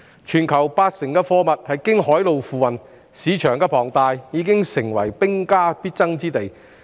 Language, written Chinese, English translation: Cantonese, 全球八成的貨物是經海路運輸，龐大的市場成為兵家必爭之地。, Since 80 % of the goods in the world are transported by sea the huge market is characterized by intense competition